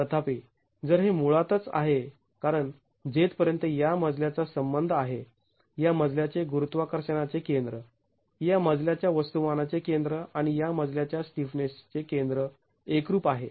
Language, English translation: Marathi, However, if and this is basically because as far as this floor is concerned, the center of gravity of this flow, the center of mass of this flow and the center of stiffness of this flow coincide